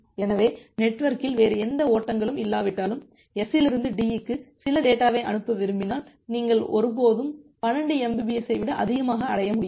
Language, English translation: Tamil, So, if you want to send some data from S to D even if there are no other flows in the network, you will never be able to achieve more than 12 mbps